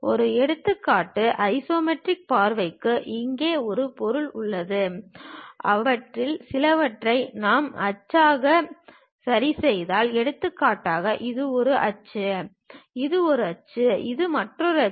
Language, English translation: Tamil, Just an example, we have an object here for isometric view; if we are fixing some of them as axis, for example, this is one axis, this is another axis, this is another axis